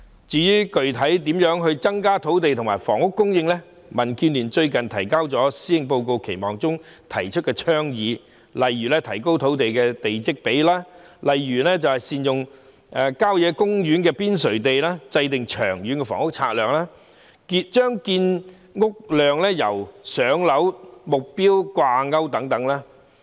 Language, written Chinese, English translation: Cantonese, 至於具體上應如何增加土地和房屋供應，民建聯最近在《施政報告期望》中提出倡議，例如提高地積比率、善用郊野公園邊陲地、制訂《長遠房屋策略》、把建屋量與"上樓"目標掛鈎等。, As for the specific ways to increase land and housing supply the Democratic Alliance for the Betterment and Progress of Hong Kong DAB has recently put forward some proposals in the expectations for the Policy Address such as increasing plot ratios making good use of the periphery of country parks formulating the Long Term Housing Strategy and linking housing production to the waiting time target for allocation of flats